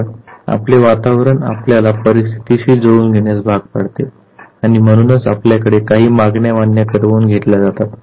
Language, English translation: Marathi, So, the environment in which you are it compels you to adapt to the situation and therefore certain demands are exerted on you